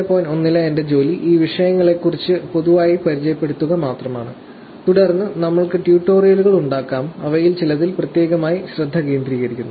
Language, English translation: Malayalam, 1, about these topics, are only generally, to introduce and then, we will have a tutorials, which are specifically focused on some of them